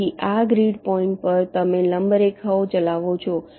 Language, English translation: Gujarati, so so, on these grid points, you run perpendicular lines